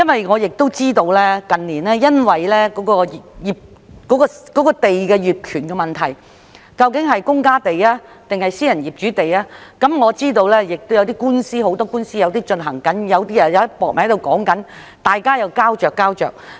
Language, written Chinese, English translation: Cantonese, 我知道近年出現土地業權問題，爭論有關土地屬於公家地抑或私人業主地，亦知道現時有很多官司正在進行，也有些在商討中，處於膠着狀態。, I am aware that in recent years there have been disputes over land titles as to whether some land is owned by the Government or private landlords and that many lawsuits are now going on while some are under negotiation and stuck in an impasse